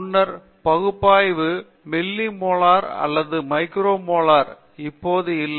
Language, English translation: Tamil, Previously analysis is on the milli molar or micro molar now it is not